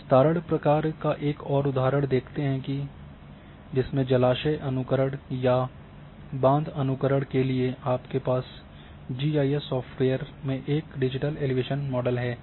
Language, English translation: Hindi, Let us see the example of a spread function for in reservevoir simulation or dam simulation in the big round you have a digital elevation model in your GIS software